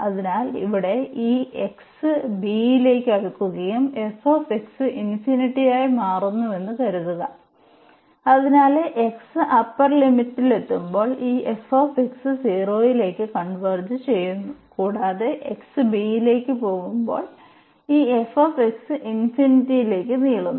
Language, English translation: Malayalam, So, here this suppose this f x is infinity as x tending to b; so, the upper limit when x is approaching to upper limit this f x is converging to is going to 0 is becoming unbounded and for such type of integrals when this f x is approaching to infinity as extending to b